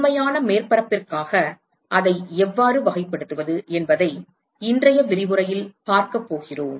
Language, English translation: Tamil, We are going to see in today's lecture how to characterize it for for a real surface